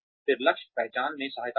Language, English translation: Hindi, Again, assist in goal identification